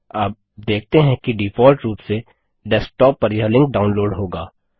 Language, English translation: Hindi, You notice that by default the link would be downloaded to Desktop